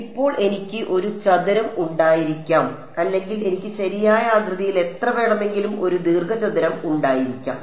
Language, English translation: Malayalam, Now, it I can have a square or I can have a rectangular any number of shapes I can have right